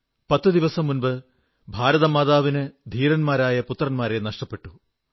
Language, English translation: Malayalam, 10 days ago, Mother India had to bear the loss of many of her valiant sons